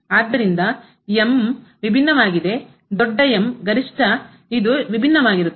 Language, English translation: Kannada, So, the is different the big the maximum is different